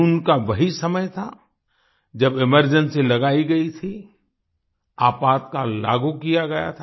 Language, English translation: Hindi, It was the month of June when emergency was imposed